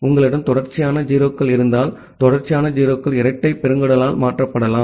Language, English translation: Tamil, Then if you have few consecutive 0’s that consecutive 0’s that can be replaced by a double colon